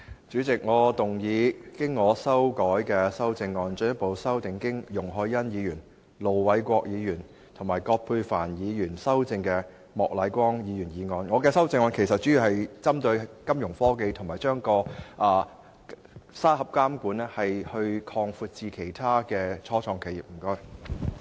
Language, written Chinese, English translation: Cantonese, 主席，我動議我經修改的修正案，進一步修正經容海恩議員、盧偉國議員及葛珮帆議員修正的莫乃光議員議案。我的修正案其實主要是針對金融科技和將"監管沙盒"擴展至其他初創企業。, President I move that Mr Charles Peter MOKs motion as amended by Ms YUNG Hoi - yan Ir Dr LO Wai - kwok and Dr Elizabeth QUAT be further amended by my revised amendment which mainly focuses on financial technology and extending the supervisory sandbox to other start - ups